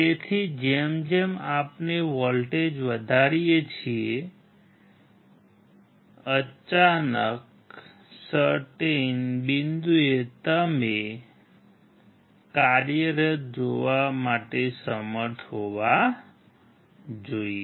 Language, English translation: Gujarati, So, as we increase the voltage, suddenly at a certain point you should be able to see the LED working